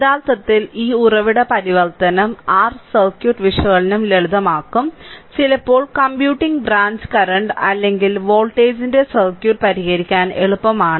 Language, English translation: Malayalam, Actually this source transformation will your, simplify the circuit analysis; and sometimes it is easy to solve the, you know circuit of computing branch current or voltage or whatsoever